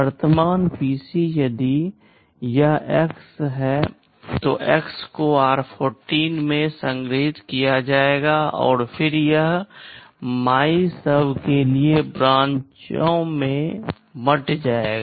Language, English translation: Hindi, The current PC if it is X, X will get stored in r14 and then it will be branching to MYSUB